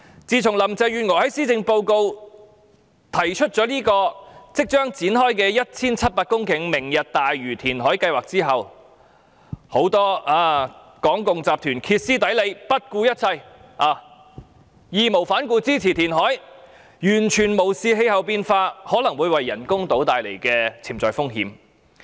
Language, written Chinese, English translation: Cantonese, 自從林鄭月娥在施政報告提出這個即將展開的 1,700 公頃"明日大嶼"填海計劃後，很多港共集團歇斯底里、不顧一切、義無反顧支持填海，完全無視氣候變化可能會為人工島帶來的潛在風險。, Since Carrie LAM put forward in her Policy Address the imminent Lantau Tomorrow project of reclaiming 1 700 hectares of land many minions of the Hong Kong communist regime have unhesitatingly expressed their support in a hysteric and reckless way totally ignoring the potential risks that climate change might bring about to the artificial islands